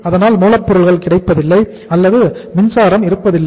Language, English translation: Tamil, So if the raw material is not available or if the power is not available